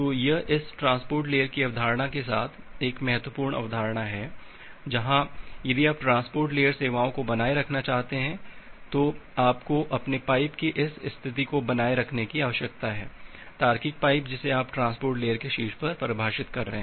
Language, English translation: Hindi, So, this is an important concept with the concept of this transport layer, where if you want to maintain transport layer services you need to maintain this state of your pipe, logical pipe that you are defining on top of the transport layer